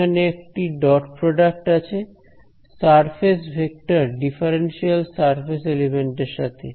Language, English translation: Bengali, It is there is a dot product with a surface vector differential surface element